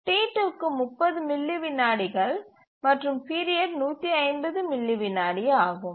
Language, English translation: Tamil, T2 takes 30 milliseconds and 150 milliseconds is the period